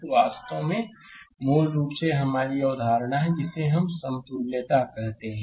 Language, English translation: Hindi, So, this is actually basically this is a concept of your, what you call equivalence right